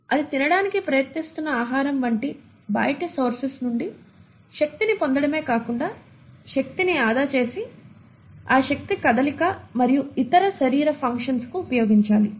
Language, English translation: Telugu, So it not only should acquire energy from outside sources such as the food which it is trying to eat, it should also conserve energy and then utilise that energy for movement and other body functions